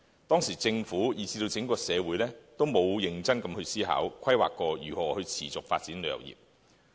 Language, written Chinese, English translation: Cantonese, 當時政府以至整個社會都沒有認真思考過、規劃過如何持續發展旅遊業。, At that time the Government and the whole community did not consider carefully or plan thoroughly how to maintain a sustainable growth in the tourism industry